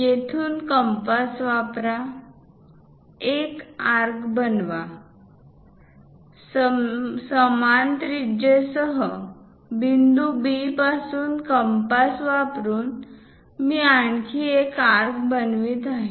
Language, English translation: Marathi, Use compass from here, construct an arc; with the same radius from point B, also using compass, I will construct one more arc